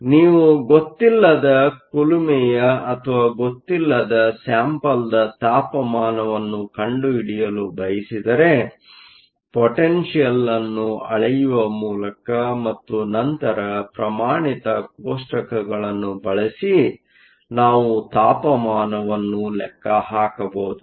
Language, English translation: Kannada, So, if you want to find out the temperature of an unknown furnace or an unknown sample, by measuring the potential and then using standard tables we can calculate the temperature